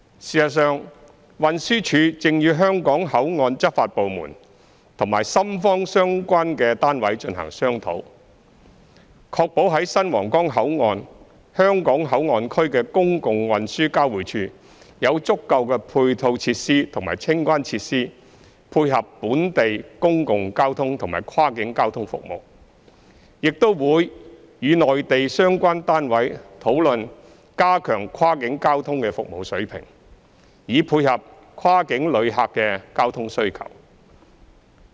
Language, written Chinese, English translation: Cantonese, 事實上，運輸署正與香港口岸執法部門和深方相關單位進行商討，確保在新皇崗口岸香港口岸區的公共運輸交匯處有足夠的配套設施和清關設施配合本地公共交通和跨境交通服務，亦會與內地相關單位討論加強跨境交通的服務水平，以配合跨境旅客的交通需求。, Actually TD is holding discussions with the law enforcement agencies for the Hong Kong Port Area and the relevant Shenzhen units so as to ensure the adequate provision of auxiliary and clearance facilities in the public transport interchange at the Hong Kong Port Area of the new Huanggang Port to dovetail with local public transport and also cross - boundary transport services . It will also hold discussions with the relevant Mainland units on enhancing the service level of cross - boundary transport so as to meet the transport demand of cross - boundary passengers